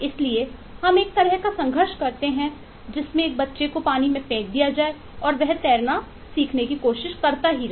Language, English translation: Hindi, so we kind of eh eh struggle like a, like a child thrown into the water and trying to learn to swim